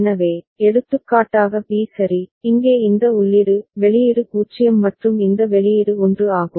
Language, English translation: Tamil, So, for example said b ok, here this input is output is 0 and this output is 1